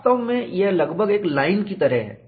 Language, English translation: Hindi, In reality, it is almost like a line